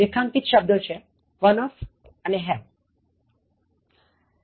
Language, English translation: Gujarati, Underlined words, one of and have, 16